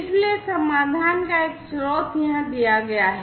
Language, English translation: Hindi, So, one of the solutions the source is given over here